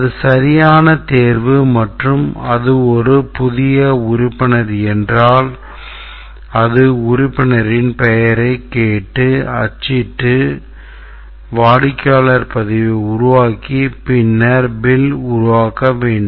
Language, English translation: Tamil, If it is a valid selection and then it is a new member then we should print, ask for the member's name, build customer record, generate bill